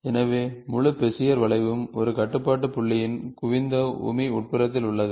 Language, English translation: Tamil, As such, the entire Bezier curve lies in the interior of a convex hull of a control point